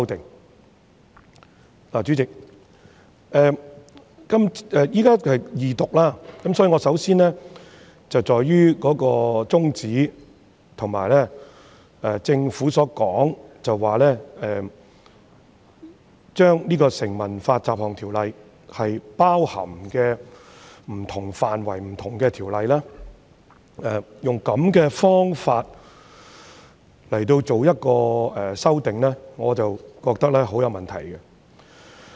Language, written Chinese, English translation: Cantonese, 代理主席，現在是二讀階段，我首先會集中討論有關宗旨，而對於政府這次用這種方法作出修訂，即在《條例草案》中包含不同的範圍及條例，我覺得有很大問題。, Deputy President we are now at the stage of Second Reading . I will first of all focus my discussion on the objective of the Bill . In regard to the Governments approach to conduct this amendment exercise that is incorporating different areas and Ordinances into the Bill I find it highly problematic